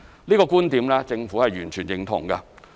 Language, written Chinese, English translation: Cantonese, 這個觀點政府完全認同。, The Government fully agrees with this